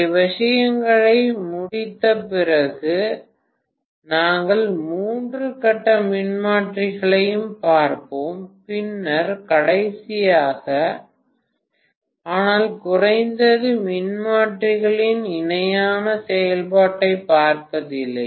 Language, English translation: Tamil, After finishing with these things, we will also look at three phase transformers, then last but not the least will look at parallel operation of transformers